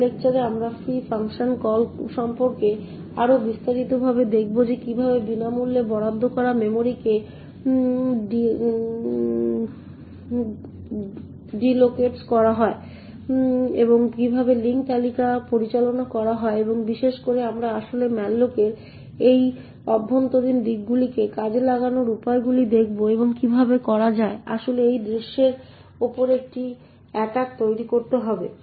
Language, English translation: Bengali, In the next lecture we will look at more into detail about the free function call essentially how free deallocates the allocated memory and how the link list are managed and in particular we will actually look at the ways to exploit this internal aspects of malloc and how to actually create an attack on this scene